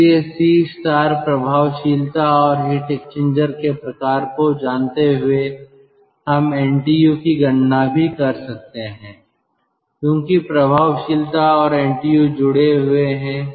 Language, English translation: Hindi, so knowing c star, effectiveness and the type of heat exchanger, we can also calculate ah, the ntu, because effectiveness and ntu are connected